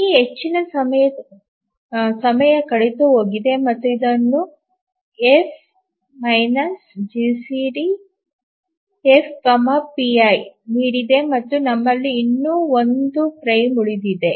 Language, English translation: Kannada, So, this much time has elapsed and this is given by F minus GCD F PI and we have just one more frame is remaining